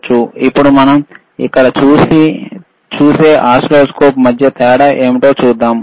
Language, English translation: Telugu, Now let us see that what how the what is the difference between the oscilloscope that we see here